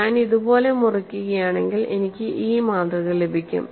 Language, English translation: Malayalam, And when you cut like this, what happens